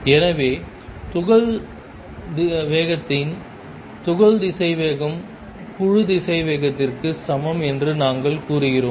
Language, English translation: Tamil, So, we say that the particle velocity of particle speed is the same as the group velocity